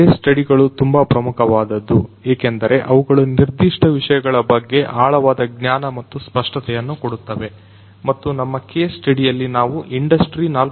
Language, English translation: Kannada, So, case studies are very important because they provide in depth knowledge and clarity of concepts on a particular topic and in our case we are talking about the industry 4